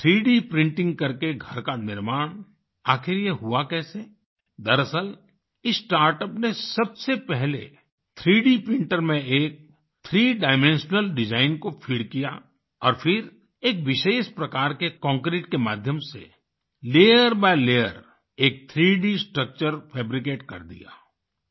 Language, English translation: Hindi, Actually, this startup first of all fed a 3 Dimensional design in a 3 D printer and then through a concrete of a special kind fabricated a 3 D structure layer by layer